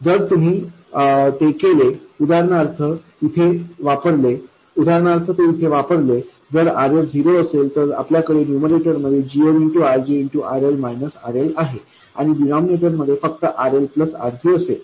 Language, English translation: Marathi, If we do that, for instance, we get, let me substitute that in here, if RS is 0, we will have GM RG RL minus RL and in the denominator we will only have RL plus RG